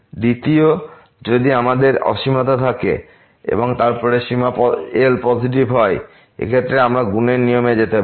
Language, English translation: Bengali, Second, if we have infinity and then this limit is positive, in this case we can go for the product rule